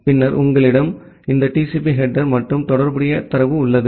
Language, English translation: Tamil, And then you have this TCP header and the corresponding data